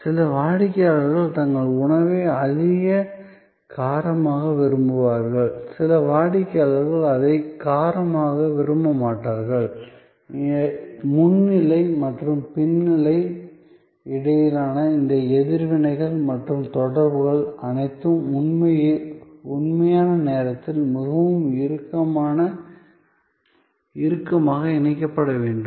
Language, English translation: Tamil, So, some customers way want their food more spicy, some customers may not want it spicy and all these responses and interactions between the front stage and the back stage have to be very tightly coupled in real time